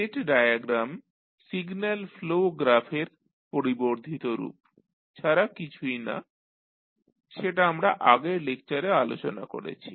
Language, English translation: Bengali, State diagram is nothing but the extension of the signal flow graph which we discussed in previous lectures